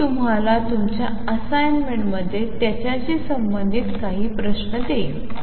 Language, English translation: Marathi, I will also give you some problems related to this in your assignment